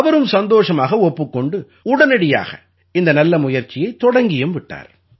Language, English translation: Tamil, He happily agreed to the suggestion and immediately started this good and noble effort